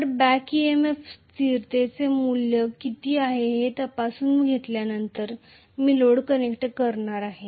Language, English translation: Marathi, So, after I have checked up what is the value of back EMF constant and so on, I am going to connect the load